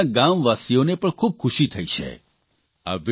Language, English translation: Gujarati, This brought great happiness to his fellow villagers too